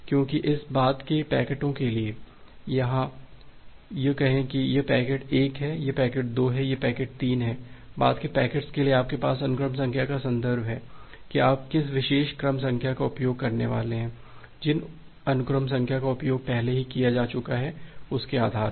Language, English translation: Hindi, Because for this subsequent packets, say this is packet 1, this is packet 2, this is packet 3, for the subsequent packets you have this referencing, the reference of the sequence number that which particular sequence number you are going to use based on what sequence number has already been utilized